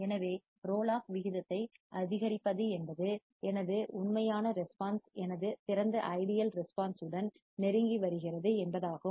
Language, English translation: Tamil, So, increasing the roll off rate means, that my actual response is getting closer to my ideal response